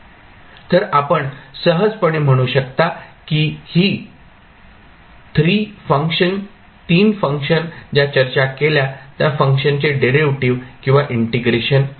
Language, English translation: Marathi, So, you can simply say that these 3 functions are either the derivative or integration of the functions which we discussed